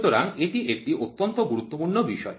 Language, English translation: Bengali, This is a very very important subject